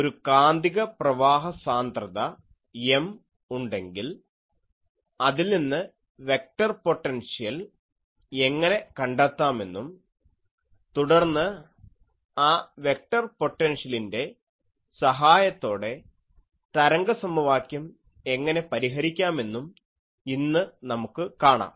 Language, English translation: Malayalam, Today we will see that if we have a Magnetic Current Density M, then how to find the vector potential from it and then, we will find what is the how to solve the wave equation with the help of that vector potential